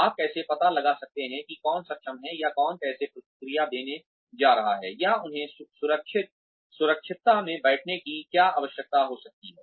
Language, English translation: Hindi, How do you find out, who is capable, or how people are going to react, or what they might need sitting in a safe